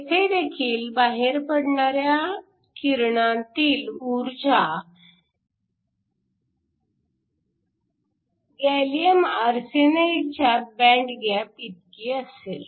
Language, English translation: Marathi, So, The energy of the radiation that comes out depends upon the band gap of the gallium arsenide region